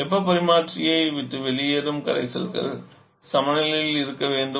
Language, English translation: Tamil, As we have assumed the solutions leaving the heat exchangers to be in equilibrium